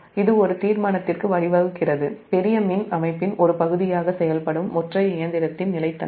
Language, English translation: Tamil, right, it leads to a determination of the stability of a single machine operating as a part of large power system